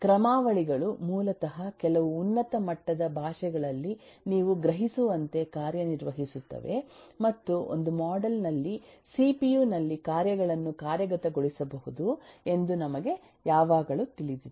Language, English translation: Kannada, algorithms correspond to basically functions in in some high level languages, as you can perceive, and we always know that functions can be executed in the cpu crossly